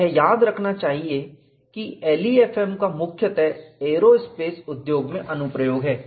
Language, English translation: Hindi, It is to be remembered that LEFM is principally applied in aerospace industry